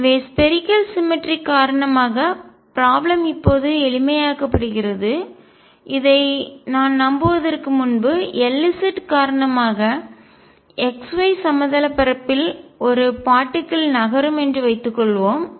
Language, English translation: Tamil, So, because of spherical symmetry the problem gets simplified now before I believe this we can consider because of L z suppose there is a particle moving in x y plane